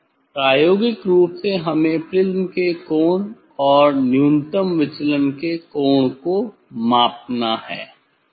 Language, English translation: Hindi, experimentally we have to measure the angle of the prism and angle of the minimum deviation, ok